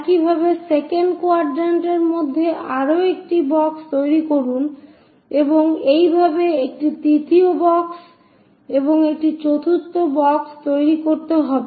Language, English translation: Bengali, Similarly, construct one more box in the second quadrant and similarly, a 3rd box and a 4th box